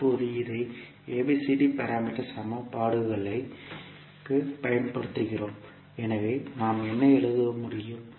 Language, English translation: Tamil, Now we apply this to ABCD parameter equations so what we can write